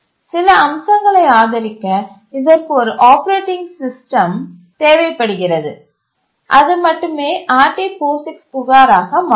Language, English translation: Tamil, It requires an operating system to support certain features, then only it will become RT POGICs complaint